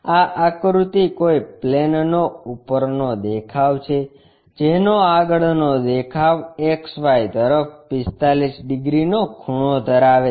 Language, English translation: Gujarati, This figure is top view of some plane whose front view is a line 45 degrees inclined to xy